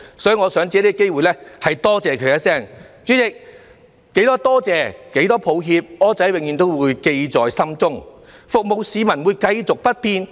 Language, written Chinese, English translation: Cantonese, 代理主席，多少句感謝，多少句抱歉，"柯仔"永遠也會記在心中，服務市民也是繼續不變的。, Deputy President I will always keep the many people to whom I have expressed my thanks or apologies in the deepest of my heart . I will continue to serve the public and this will not change